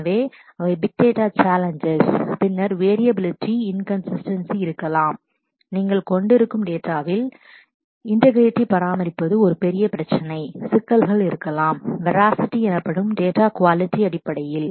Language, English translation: Tamil, So, those are the challenges of big data, then there could be variability inconsistency of the data that you are because maintaining integrity is a big problem; there could be issues in terms of quality of the data that is called veracity